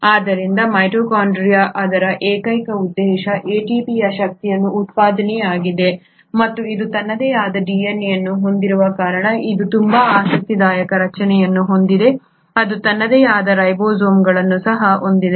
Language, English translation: Kannada, So mitochondria, its sole purpose is the generation of energy that is ATP and it has very interesting structure because it has its own DNA, it also has its own ribosomes